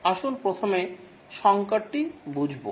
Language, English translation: Bengali, Let's first get to understand the crisis